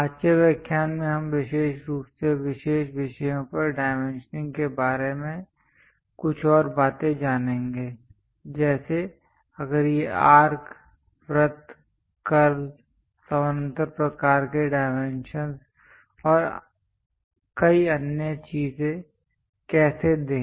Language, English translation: Hindi, In today's lecture we will learn some more things about dimensioning especially on special topics, like, if these are arcs, circles, curves, how to give parallel kind of dimensions and many other things